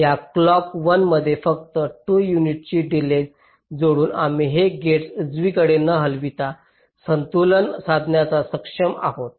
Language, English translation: Marathi, just by adding a delay of two units in this clock one, we have been able to balance it without moving these gates around, right